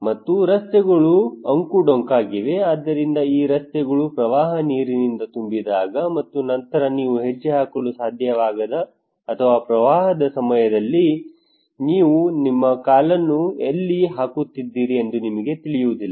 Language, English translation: Kannada, And the roads are zig zagged, so when these roads are filled by water and then during the flood or inundations that you cannot step in we do not know where you are putting your leg okay